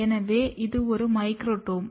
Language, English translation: Tamil, So, this is a Microtome